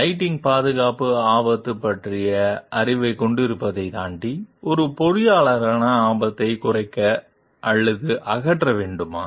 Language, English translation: Tamil, What, beyond having the knowledge of a lighting safety hazard, does an engineer need to get the hazard reduced or eliminated